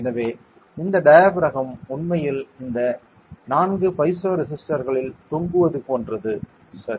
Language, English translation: Tamil, So, this diaphragm is actually like hanging on this 4 piezo resistors ok